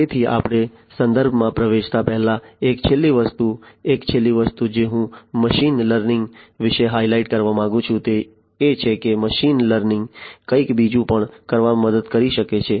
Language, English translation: Gujarati, So, one last thing before we get into the references, one last thing that I would like to highlight about machine learning is that machine learning can help do something else as well